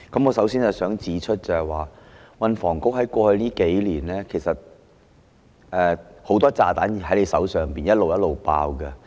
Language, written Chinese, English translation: Cantonese, 我首先要指出的是，運房局在過去數年手上很多炸彈陸續爆炸。, First of all I wish to point out that many bombs the Transport and Housing Bureau had in hand have exploded one after another over the past few years